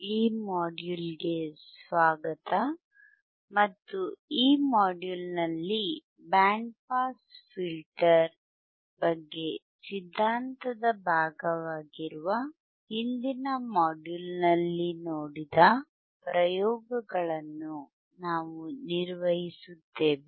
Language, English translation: Kannada, So, welcome to this module and in this module, we will be performing the experiments that we have seen in the last module which is the theory part about the band pass filter